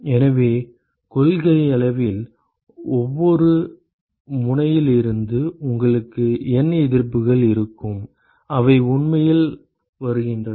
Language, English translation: Tamil, So, in principle from every node you will have N resistances which are actually coming out of every node